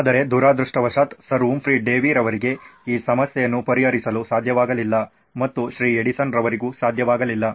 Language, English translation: Kannada, But unfortunately neither could Sir Humphry Davy solve this problem and neither could Mr